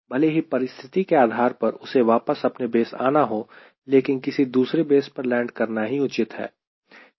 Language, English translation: Hindi, so even if it is supposed to come back to the base, depending upon situation it may be advisable that you land somewhere else